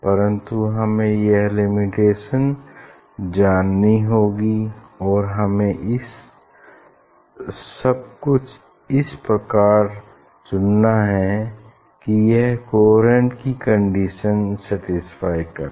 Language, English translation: Hindi, But we have to know that limitation and we have to choose everything in such a way that, it will satisfy the coherent condition